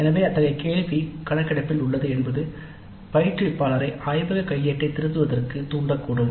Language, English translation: Tamil, So the very fact that such a question is there in the survey might sensitize the instructor to revising the laboratory manual